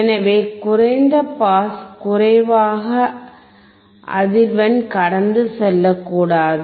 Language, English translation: Tamil, So, low pass low frequency should not pass